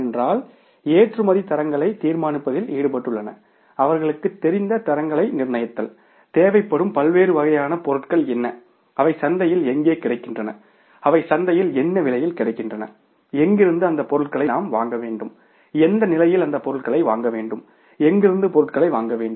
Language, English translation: Tamil, Because I told you that experts are involved in deciding the standards, fixing up the standard, they know it, what are the different types of materials are required, where they are available in the market, at what price they are available in the market, when we should procure that material and at what price we should procure that material from where we should procure the material